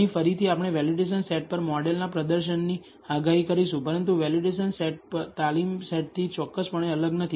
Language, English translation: Gujarati, Here again, we will predict the performance of the model on the validation set, but the validation set is not separated from the training set precisely